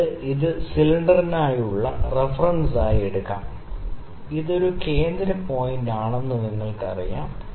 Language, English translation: Malayalam, You can take it to as a reference to the cylinder, you know, if this is a centre point